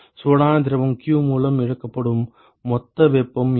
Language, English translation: Tamil, What is the total heat that is lost by the hot fluid q